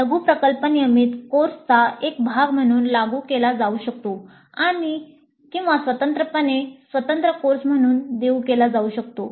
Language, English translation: Marathi, The mini project may be implemented as a part of a regular course or it may be offered as an independent separate course by itself